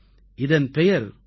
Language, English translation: Tamil, Its name is ku KOO